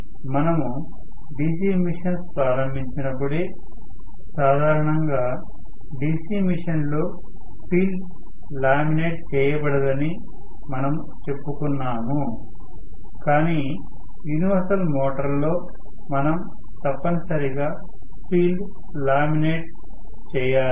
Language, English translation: Telugu, When we started the topic of DC machine itself we said normally field is not laminated in a DC motor in a DC machine but in a universal motor we need to necessarily